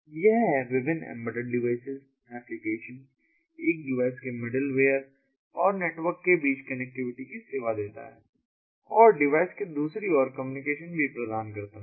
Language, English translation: Hindi, one is offering connectivity between different embedded devices, between the applications and then middle ware of one device and network and communication on the other side of the device